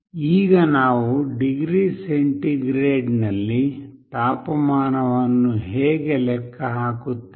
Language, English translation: Kannada, Now how do we compute the temperature in degree centigrade